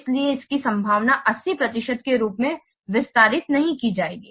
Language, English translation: Hindi, So, the probability that it will not be expanded as 80 percent